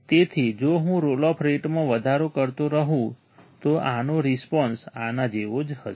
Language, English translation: Gujarati, So if I keep on increasing the roll off rate, this response would be similar to this